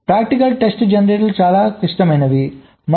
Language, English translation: Telugu, so practical test generators are quite complex and sophisticated